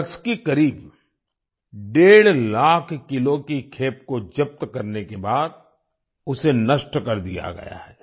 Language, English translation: Hindi, 5 lakh kg consignment of drugs, it has been destroyed